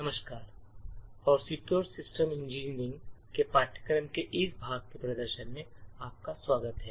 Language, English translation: Hindi, Hello and welcome to this demonstration as part of the course Secure Systems Engineering